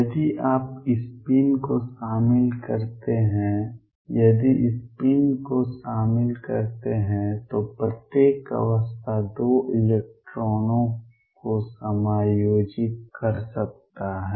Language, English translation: Hindi, If you include spin if include spin then every state can accommodate 2 electrons